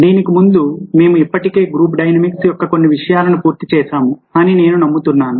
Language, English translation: Telugu, i believe that before this, we have already covered certain areas of group dynamics